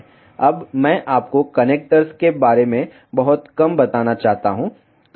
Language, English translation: Hindi, Now, I just want to tell you little bit about the connectors